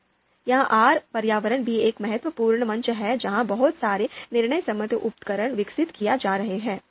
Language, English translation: Hindi, So this R platform R environment is also a significant platform where lot of decision support tools are being developed